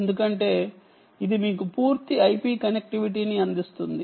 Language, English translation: Telugu, um, because it will offer you full i p connectivity and so on